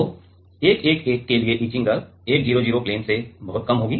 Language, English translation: Hindi, So, the etching rate for 111 will be lesser much lesser than the 100 plain